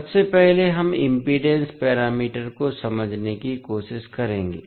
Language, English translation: Hindi, First, we will try to understand the impedance parameters